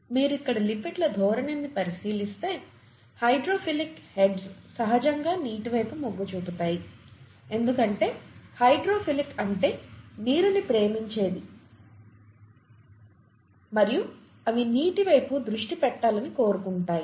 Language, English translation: Telugu, If you look at the orientation of the lipids here, the hydrophilic heads are oriented towards water naturally because the hydrophilic means water loving and they would like to be oriented towards water